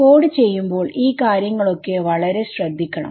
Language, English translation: Malayalam, So, these are the things which you have to be very careful about when you code